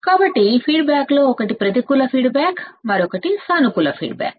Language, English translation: Telugu, So, one of the feedback is negative feedback another feedback is positive feedback